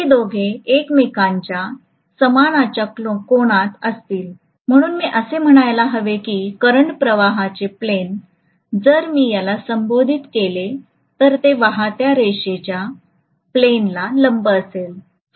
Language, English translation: Marathi, The two will be at right angles to each other stuff so I should say that the plane of the current flow if I may call it, it will be at perpendicular, it will be perpendicular to the plane of the flux lines